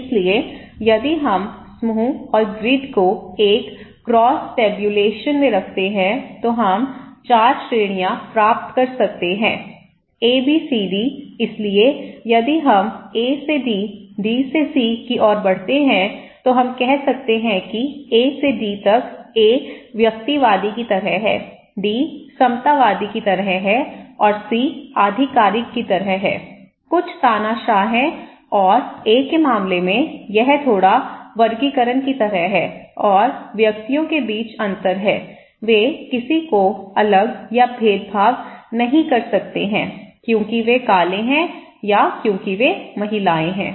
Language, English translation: Hindi, So, if we put this low group and sorry, group and grid into a cross tabulations, we can get 4 categories; one A, B, C, D, so if we move from A to D to C, we can say that from A to D is A is like individualistic, D is kind of egalitarian and C is like authoritative, some dictators are there and in case of A, it is like little classification and distinctions between individuals are there, they can nobody is segregated or discriminated because they are black because they are women, okay